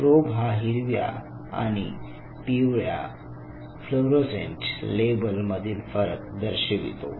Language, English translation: Marathi, Probe to distinguish between green and yellow fluorescent labels